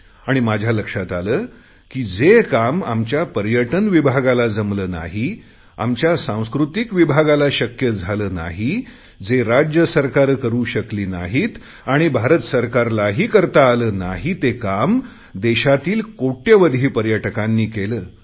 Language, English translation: Marathi, And I have noticed that the kind of work which our Department of Tourism, our Department of Culture, State Governments and the Government of India can't do, that kind of work has been accomplished by millions and millions of Indian tourists